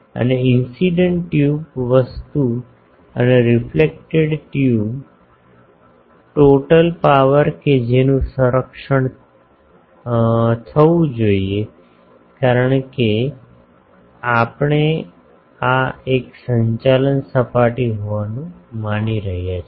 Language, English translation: Gujarati, And, incident tube thing and the reflected tube, total power that should be conserved because, this we are assuming to be a conducting surface ok